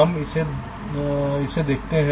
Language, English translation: Hindi, ok, so you can see